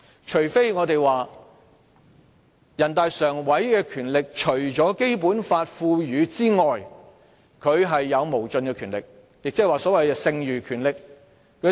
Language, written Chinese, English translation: Cantonese, 除非我們說人大常委會的權力除了《基本法》賦予外，有無盡的權力，即所謂"剩餘權力"。, Unless we say that in addition to the power granted by the Basic Law NPCSC has infinite power that is the so - called residual power